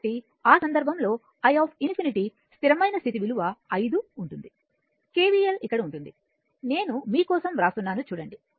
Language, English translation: Telugu, So, in that case your i infinity the steady state value right it will be 5 if you apply KVL here you look ah I am rather I am writing for you